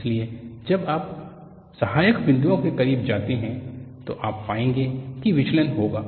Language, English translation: Hindi, So, when you go closer to the supporting points, you will find, there would be deviations